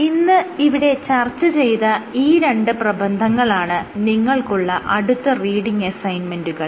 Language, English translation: Malayalam, These 2 papers that we discussed would be our next reading assignments